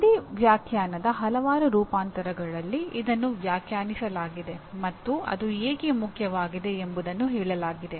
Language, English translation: Kannada, This has been defined in several variants of the same definition and why is it important